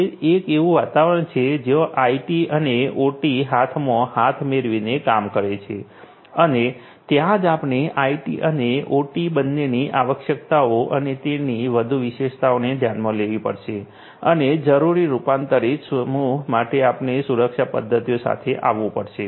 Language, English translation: Gujarati, It is an environment where IT and OT work hand in hand and that is where we have to consider the features the requirements and so on of both IT and OT and we have to come up with security mechanisms to for that converged set of for the converse set of requirements